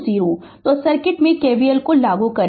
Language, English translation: Hindi, So, apply KVL in the circuit